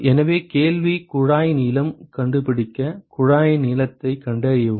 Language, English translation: Tamil, So, the question is find the tube length; find the tube length